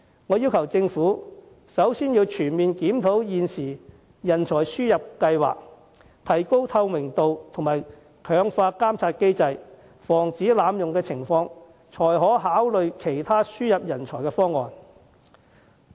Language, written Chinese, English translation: Cantonese, 我要求政府先全面檢討現時的人才輸入計劃，提高透明度和強化監察機制，防止濫用情況，然後才考慮其他輸入人才方案。, I urge the Government to conduct a comprehensive review on the existing talent import schemes to improve transparency and step up the checks and balances to prevent abuse before considering introducing other schemes to import talents